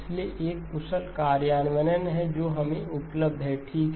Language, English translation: Hindi, So there is an efficient implementation that is available to us okay